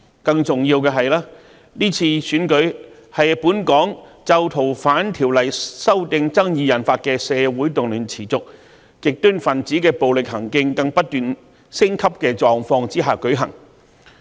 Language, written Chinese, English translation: Cantonese, 更加重要的是，今次選舉是在本港因《逃犯條例》修訂爭議引發的社會動亂持續，極端分子暴力行徑不斷升級的狀況下舉行。, More importantly the election will be held against the background of persistent social unrest triggered by the controversy surrounding the proposed amendments to the Fugitive Offenders Ordinance as well as escalating violence of the extremists